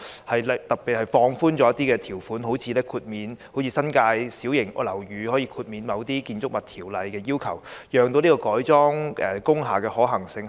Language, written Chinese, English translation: Cantonese, 例如特別放寬一些條款，就像新界小型樓宇可獲豁免遵守某些《建築物條例》的要求般，以提高改裝工廈的可行性。, For instance will some terms be relaxed so as to enhance the feasibility of industrial building conversion just like the case of small houses in the New Territories which are exempted from certain requirements under the Buildings Ordinance?